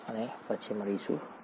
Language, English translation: Gujarati, Thank you and see you later